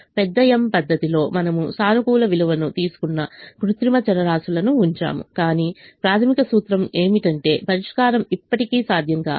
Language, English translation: Telugu, in the big m method we put the artificial variables that took a positive value, but the basic imp[lication] implication was that the solution was still infeasible